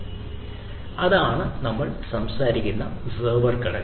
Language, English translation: Malayalam, So, that is the server component that we are talking about